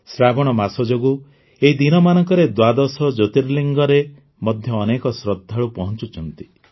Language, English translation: Odia, These days numerous devotees are reaching the 12 Jyotirlingas on account of 'Sawan'